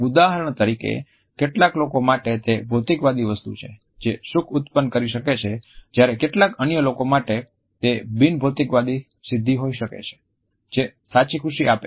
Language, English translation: Gujarati, For example, for some people it is the materialistic positions which can create happiness whereas, for some other people it may be a non materialistic achievement which would generate true happiness